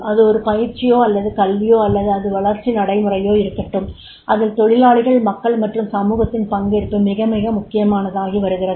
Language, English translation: Tamil, Whether it is a training or education or it is the development practices, what is required is the participation of the employees, participation of the people, participation of the society is becoming very, very important